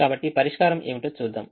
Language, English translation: Telugu, so let us check what is the solution